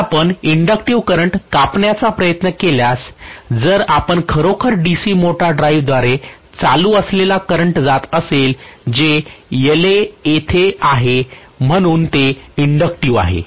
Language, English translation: Marathi, So if you are going to have actually the current flowing through the DC motor drive, which is inductive because La is there